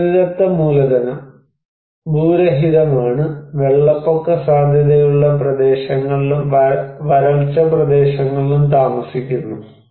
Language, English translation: Malayalam, And natural capitals: is landless, live on flood prone areas and drought areas